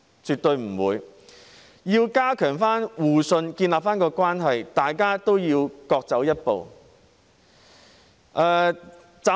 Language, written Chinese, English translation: Cantonese, 絕對不會。要加強互信，重建關係，大家都要多走一步。, Certainly no we must all take one more step if we want to enhance mutual trust and reconcile with each other